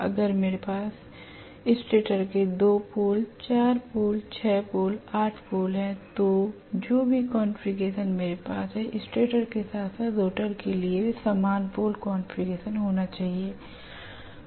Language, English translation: Hindi, If I have wound the stator for 2 pole, 4 pole, 6 pole, 8 pole whatever configuration I have to have similar pole configuration for the stator as well as rotor